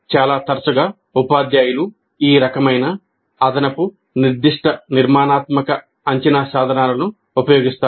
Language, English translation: Telugu, Now quite often actually teachers use these kind of additional specific formative assessment instruments